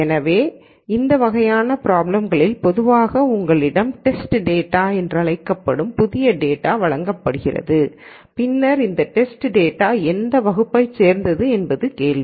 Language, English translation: Tamil, So, in these kinds of problems typically you have this and then you are given new data which is called the test data and then the question is what class does this test data belong to